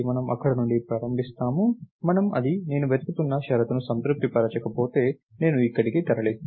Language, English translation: Telugu, So, we start from here and if it doesn't satisfy the condition that I am searching for, then I move here and so, on